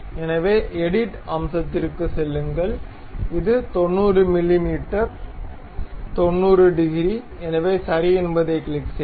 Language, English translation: Tamil, So, go to edit feature it is 90 mm, 90 degrees, so click ok